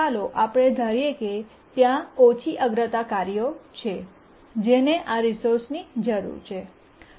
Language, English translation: Gujarati, Now let's assume that there are several lower priority tasks which need these resources